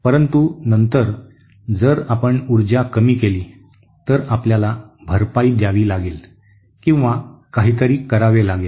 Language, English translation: Marathi, So but then if we reduce the power, then we have to compensate or something